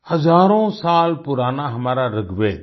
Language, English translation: Hindi, Our thousands of years old Rigveda